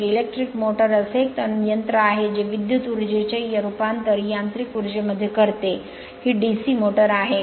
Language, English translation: Marathi, So, electric motor is a machine which converts electrical energy into mechanical energy, this is DC motor